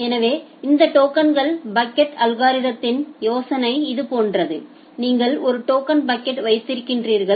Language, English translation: Tamil, So, the idea of this token bucket algorithm is something like this you have a bucket a token bucket